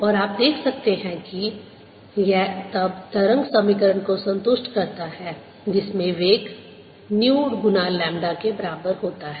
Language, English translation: Hindi, and i can check that this and satisfy the wave equation with velocity being equal to new times lambda